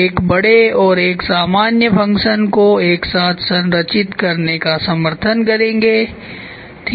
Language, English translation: Hindi, They will support a large or a general function are structured together ok, general function